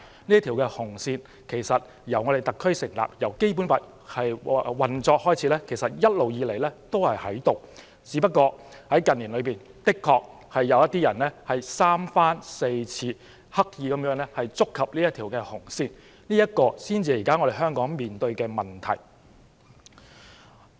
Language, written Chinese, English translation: Cantonese, 這條"紅線"由特區政府成立及《基本法》開始運作起已一直存在，只不過近年有人三番四次刻意觸及這條"紅線"，這才是現時香港面對的問題。, This red line has existed since the establishment of the SAR Government and the commencement of the Basic Law only that someone has time and again stepped over this red line deliberately . That is the issue faced by Hong Kong at the moment